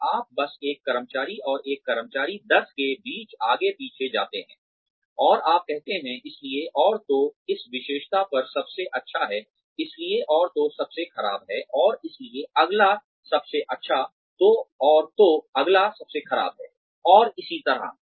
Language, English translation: Hindi, And, you just go back and forth, between employee one, and employee ten, and you say, so and so is the best on this trait, so and so is the worst, so and so is the next best, so and so is the next worst, and so on